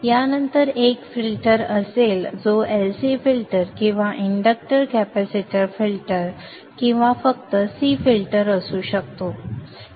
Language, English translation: Marathi, This would be followed by a filter which could be an LCD filter or the inductor capacitor filter or just a C filter